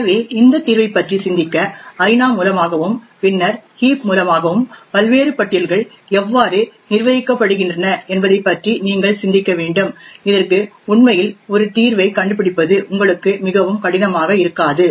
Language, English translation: Tamil, So, in order to think of this solution you must think about how the various lists are managed by the arena and by the heat and then it would not be very difficult for you to actually find a solution for this